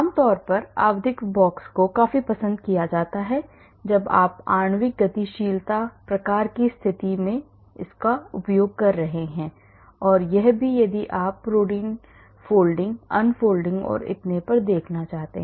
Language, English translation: Hindi, And generally periodic box is preferred when you are doing molecular dynamics type of situation and also if you want to look at the protein folding, unfolding and so on